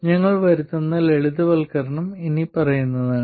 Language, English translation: Malayalam, The simplification that we will make is the following